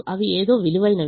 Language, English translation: Telugu, they are worth something